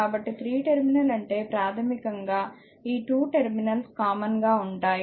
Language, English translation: Telugu, So, 3 terminal means basically these 2 terminals